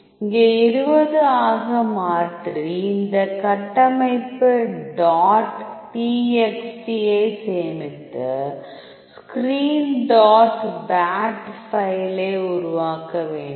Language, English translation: Tamil, Here I am changing to 20 and save this config dot txt, thing you have to create screen dot bat file